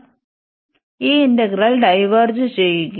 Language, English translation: Malayalam, So, this integral will diverge so diverge